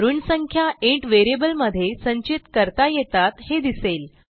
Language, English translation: Marathi, Now let us store a decimal number in a int variable